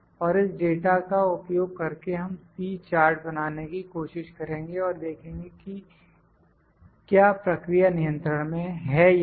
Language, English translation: Hindi, And the using this data, try to make a C chart and see whether the processes in control or not